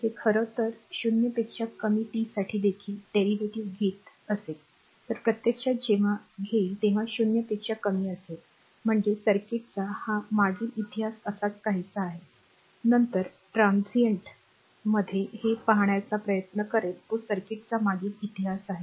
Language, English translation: Marathi, So, actually whenever we take then it is less than 0 means say it is something like this the past history of the circuit, later in transient we will try to see this say it is past history of the circuit